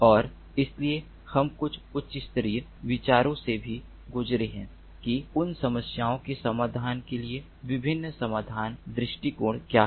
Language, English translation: Hindi, and so we have also gone through some of the high level ideas about how to address what are the different solution approaches to address those problems